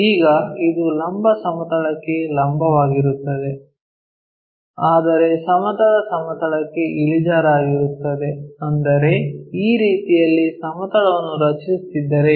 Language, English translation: Kannada, Now, it is perpendicular to vertical plane, but inclined to horizontal plane; that means, if I am drawing a plane in that way